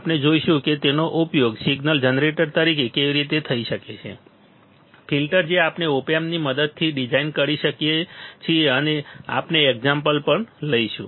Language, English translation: Gujarati, We will see how it can be used as signal generator, filters we can design using op amp and we will take an example also, we take example also